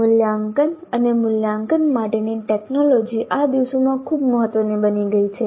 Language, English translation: Gujarati, Technology for assessment and evaluation has become very important these days